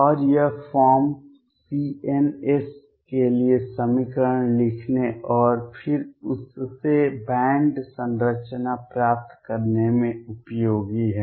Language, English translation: Hindi, And this form is useful in writing the equation for the c ns and then from that getting the band structure